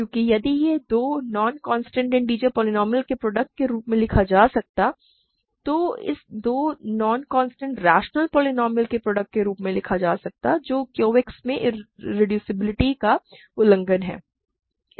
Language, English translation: Hindi, Because, if it can be written as a product of two non constant integer polynomials then it can be written as a product of two non constant rational polynomials violating the irreducibility in Q X